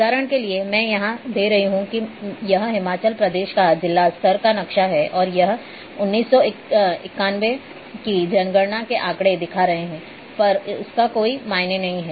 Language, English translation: Hindi, Example, I am giving here that this is a district level map of Himachal Pradesh and this is census data of ninety one doesn’t matter